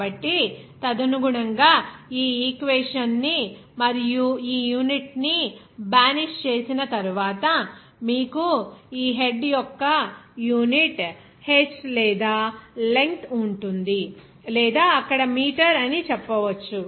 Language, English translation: Telugu, So, accordingly after banishing that equation and also unit, so finally you will get that unit of this head will be h or length or you can say that meter there